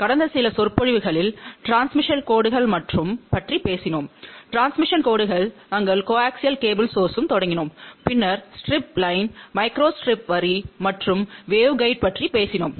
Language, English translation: Tamil, In the last few lectures, we have talked about transmission lines and in the transmission lines, we started with coaxial cable , then we talked about strip line, micro strip line as well as wave kind